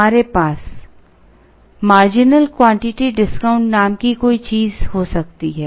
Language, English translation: Hindi, We could have something called marginal quantity discount